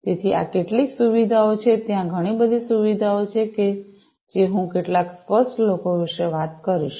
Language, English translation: Gujarati, So, these are some of the features there are many many different features I will talk about some of the salient ones